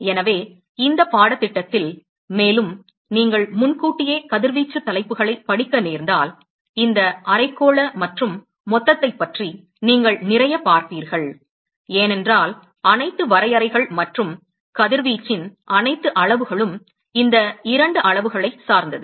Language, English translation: Tamil, So in this course, and also if you happen to read advance radiation topics, you will see a lot about these hemispherical and total, because all the definitions and all the quantitation of radiation, they are all dependent upon these 2 quantities